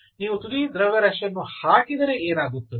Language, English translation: Kannada, what happens if you put the tip mass